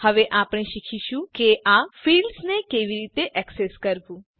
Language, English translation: Gujarati, Now, we will learn how to access these fields